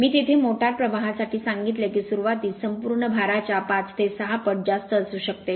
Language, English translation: Marathi, I told you there for the motor current at starting can be as large as 5 to 6 times the full load current